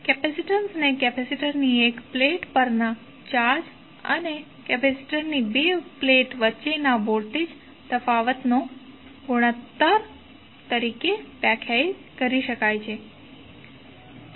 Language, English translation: Gujarati, Capacitance can be defined as the ratio of charge on 1 plate of the capacitor to the voltage difference between the 2 plates